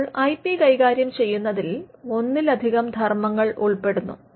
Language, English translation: Malayalam, Now, this managing IP involves multiple functions